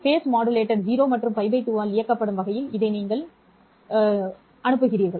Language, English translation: Tamil, You feed this in such a way that the face modulator is operated in 0 and pi by 2 whereas this one is operated as 0 and pi